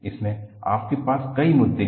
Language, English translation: Hindi, In this, you have several issues